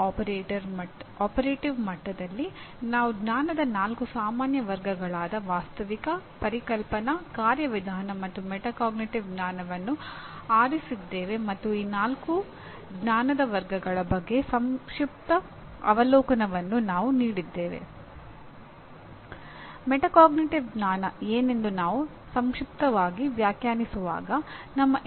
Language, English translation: Kannada, At operative level, we have selected four general categories of knowledge namely Factual, Conceptual, Procedural, and Metacognitive knowledge and we gave a brief overview of these four categories of knowledge